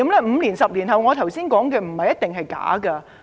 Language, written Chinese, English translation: Cantonese, 5年、10年後，我剛才所說的，不一定是假的。, What I said just now may not necessarily turn out to be false five or 10 years later